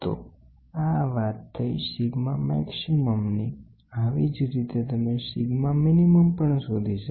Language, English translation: Gujarati, So, this is sigma max you can try to find out sigma min